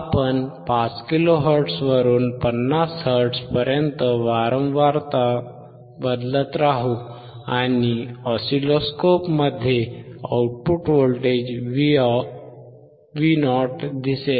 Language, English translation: Marathi, We will keep on changing from 5 kilo hertz we will go down to 50 hertz, and we will see the output voltage Vo in the oscilloscope